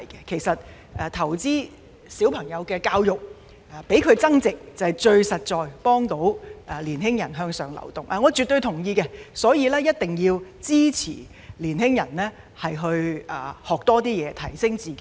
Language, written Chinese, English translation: Cantonese, 其實，投資於小朋友的教育，讓他們增值，是最實在能幫助青年人向上流動，我絕對同意，所以一定要支持青年人在多方面學習，提升自己。, As a matter of fact investing in the education of children for their enhancement is the most practical way of ensuring upward mobility of young people . I absolutely agree with this and will certainly support young people to pursue self - enhancement through diversified learning